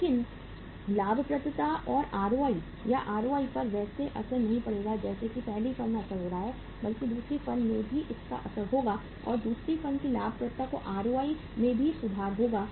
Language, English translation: Hindi, But the profitability or ROI will not be impacted in the same way as it is being impacted in the first firm but it will also be impacted in the second firm too and that too the profitability or ROI of second firm will also improve